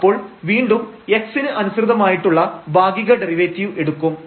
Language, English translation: Malayalam, So, we have to take the derivative again with respect to x here treating y is constant